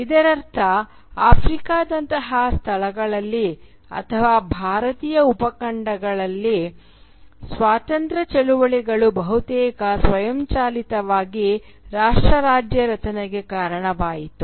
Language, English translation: Kannada, Which means that independence movements in places like Africa for instance, or in the Indian subcontinent, almost automatically led to the formation of nation state